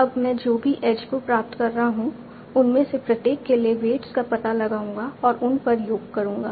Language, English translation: Hindi, Now, whatever edges I am obtaining, I will find out the weights for each of these and sum over that